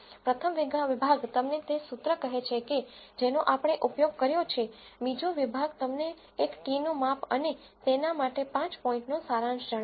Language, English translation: Gujarati, The first section tells you the formula that we have used, second section tells you the measure of a t and the 5 point summary for it